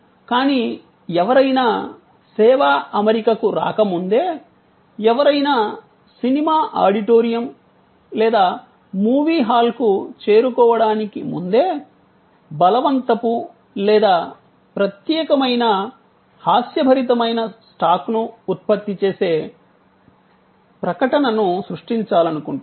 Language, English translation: Telugu, But, even before one comes to the service setting, even before one reaches the movie auditorium or movie hall, we would like to create a advertising that generate stock; that is humorous; that is compelling, unique